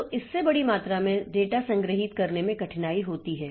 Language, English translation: Hindi, So, that makes it difficult for storing large amount of data